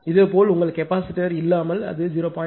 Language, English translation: Tamil, Similarly that your without capacitor it was 0